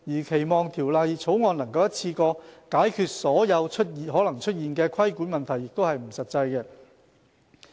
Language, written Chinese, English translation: Cantonese, 期望《條例草案》能一次過解決所有可能出現的規管問題，是不切實際的。, It is impractical to expect that the Bill can resolve in one go all the regulatory problems that may arise